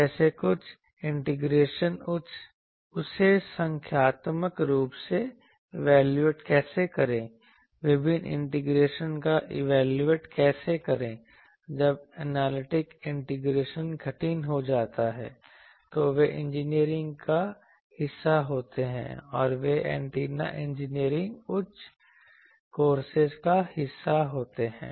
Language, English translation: Hindi, Like, some integrations how to evaluate that numerically how to evaluate various integrations when analytic integration becomes tougher, those are part of engineering and those are part of antenna engineering higher courses